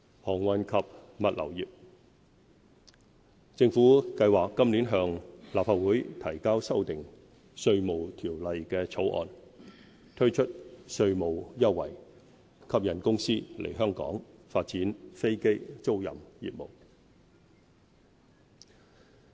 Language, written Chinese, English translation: Cantonese, 航運及物流業政府計劃今年向立法會提交修訂《稅務條例》的草案，推出稅務優惠，吸引公司來港發展飛機租賃業務。, The Government plans to introduce a bill into the Legislative Council this year to amend the Inland Revenue Ordinance to offer tax concession so as to attract companies to develop aircraft leasing business in Hong Kong